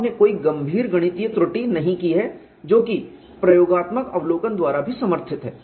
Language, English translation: Hindi, You are not done any serious mathematical error which is also supported by experimental observation